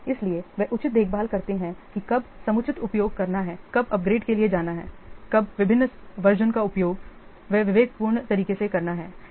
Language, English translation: Hindi, So, that's why they take proper care when to use the proper, when to use the, when to go for upgradeations, when to use the different versions they judiciously use